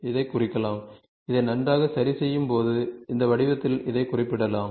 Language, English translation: Tamil, So, this can be represented by this, on fine tuning this, this can be represented in this form